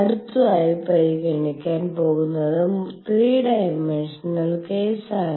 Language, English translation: Malayalam, Next going to consider is 3 dimensional case